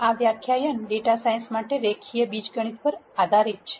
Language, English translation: Gujarati, This lecture is on linear algebra for data science